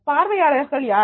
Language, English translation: Tamil, Who is your audience